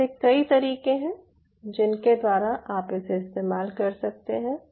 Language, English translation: Hindi, so there are multiple ways by which you can do it